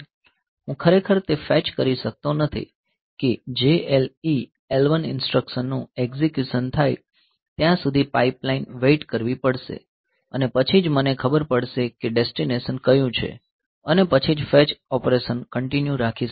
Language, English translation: Gujarati, So, I really cannot fetch so, that the pipeline has to wait till the execution of the JLE L1 instruction is over and then only I will know what is the destination and then only the fetch operation can continued